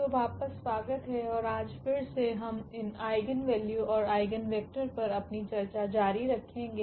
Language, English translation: Hindi, So, welcome back and today again we will continue our discussion on these eigenvalues and eigenvectors